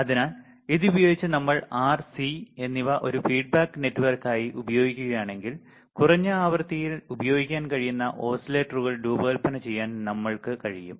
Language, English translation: Malayalam, So, using this if we use R and C as a feedback network right then we can design oscillators which can be used at lower frequency